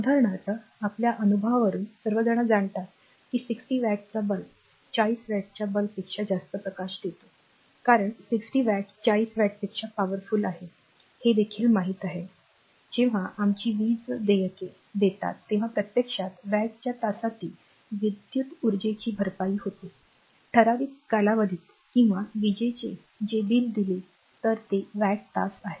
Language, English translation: Marathi, For example, we all know from our experience that is 60 watt bulb gives more light than a 40 watt bulb because 60 watt is powerful than 40 watt we also know that when we pay our electricity bills we are actually paying for the electric energy that is watt hour consume over a certain period of time right we or that whatever electric bill if you pay this is watt hour